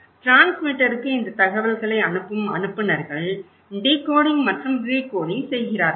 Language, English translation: Tamil, Senders passing this informations to the transmitter and transmitter is decoding and recoding